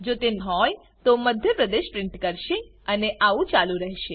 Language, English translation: Gujarati, If it is so, it will print out Madhya Pradesh and so on